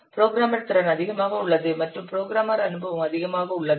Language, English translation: Tamil, Programmer capability is high and programmer experience is also high